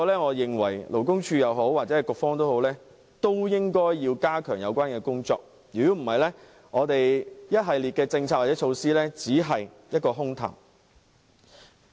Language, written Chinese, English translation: Cantonese, 我認為勞工處或局方也要加強有關工作，否則，一系列的政策或措施只會流於空談。, I reckon the Labour Department or the Bureau should step up their efforts in this respect or else the policies or measures will be nothing but empty talk